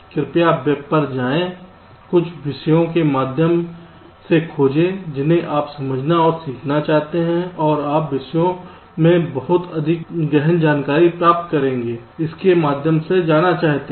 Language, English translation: Hindi, please visit the web, search through the topics you want to understand and learn and you will get much more deep insight into the topics wants to go through them